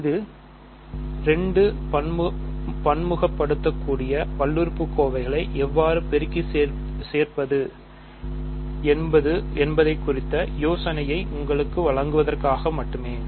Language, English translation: Tamil, So, this is just to give you an idea of how to multiply and add 2 multivariable polynomials